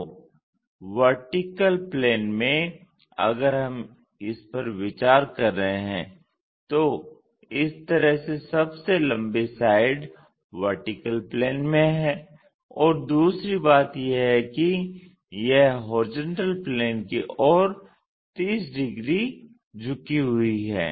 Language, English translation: Hindi, So, vertical plane if we are considering, if we are considering this one the longest side is in the vertical plane in this way and the second thing is, it is 30 degrees inclined to horizontal plane